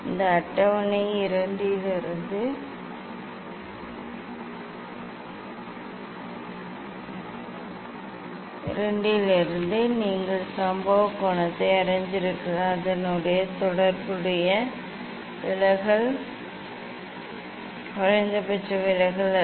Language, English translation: Tamil, you have you know the incident angle and then the corresponding deviation it is not minimum deviation